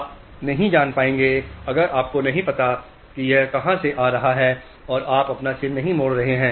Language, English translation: Hindi, You will not know whether if you don't know where it is coming from you will not turn your head